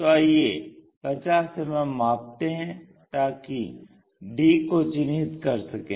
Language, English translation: Hindi, So, let us measure 50 mm to locate d lines, so this is 50 mm